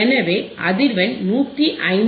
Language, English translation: Tamil, So, frequency is 159